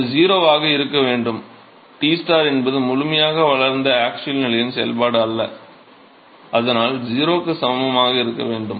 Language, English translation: Tamil, That should be that should be 0 right Tstar is not a function of the axial position in fully developed regime and so, that should be equal to 0